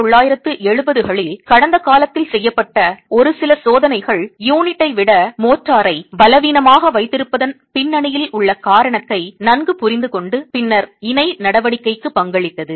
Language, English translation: Tamil, A few experiments done in the past in the 1970s actually gave a good understanding of the rational behind keeping motor weaker than the unit and then contributing to the coaction itself